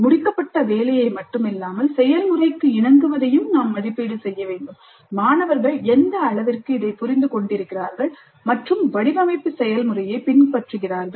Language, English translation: Tamil, We need to assess not only the finished work, but also the compliance to the process to what extent the students have understood and are following the design process